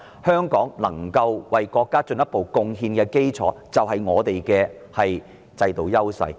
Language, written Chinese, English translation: Cantonese, 香港能夠為國家進一步作出貢獻的基礎，就是我們的制度優勢。, The basis on which Hong Kong can make further contribution to the country is our institutional advantages